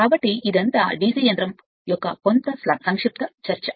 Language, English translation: Telugu, So, next is these are all some brief discussion of the DC machine